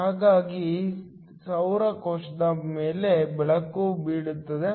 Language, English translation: Kannada, So, light falls on the solar cell